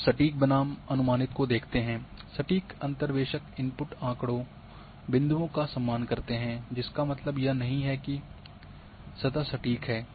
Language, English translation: Hindi, Now exact versus approximate, that exact interpolators honour the input data points which doesn’t mean that the surface is exact